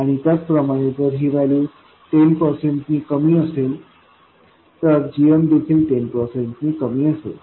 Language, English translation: Marathi, And similarly, if this value is lower by 10%, the GM will also be lower by 10%, and so on